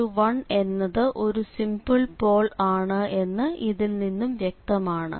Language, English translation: Malayalam, So, it is clearly then the z is equal to 1 is a simple pole